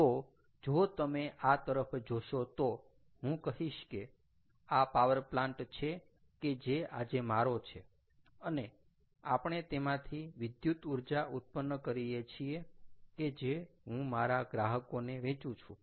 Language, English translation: Gujarati, so if you look at this and i say that this is a power plant that i own today and we generating electricity which i am selling to customers